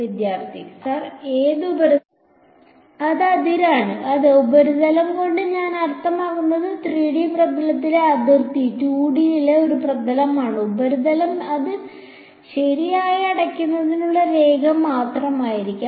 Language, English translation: Malayalam, It is the boundary yeah, by surface I mean boundary in 3D r surface is a surface in in 2D the surface will be just the line in closing it right